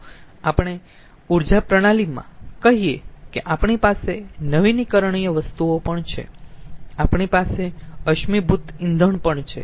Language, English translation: Gujarati, lets say, in an energy system we are having renewables also, we are having also fossil fuels